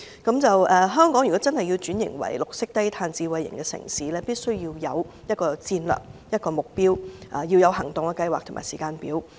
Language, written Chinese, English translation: Cantonese, 如果香港真的要轉型為綠色低碳智慧型城市，必須有戰略和目標，包括行動計劃和時間表。, To develop Hong Kong into a green and low - carbon smart city we must have a strategy and a target including an action plan and a timetable